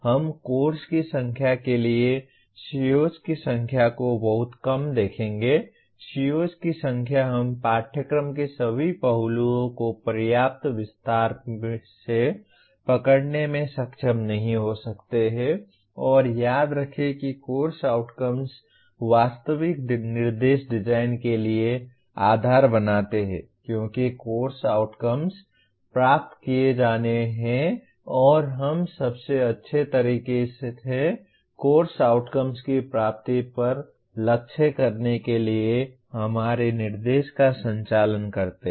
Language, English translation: Hindi, We will look at the number of COs for a course too small a number of COs we may not be able to capture in sufficient detail all aspects of the course and remember that course outcomes form the basis for actual instruction design because course outcomes are to be attained and we conduct our instruction to aiming at attainment of course outcomes in the best possible way